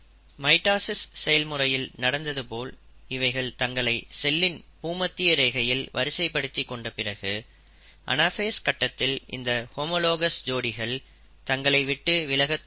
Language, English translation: Tamil, After they have arranged themselves at the equatorial plane, just like in mitosis, in anaphase, these homologous pairs start moving apart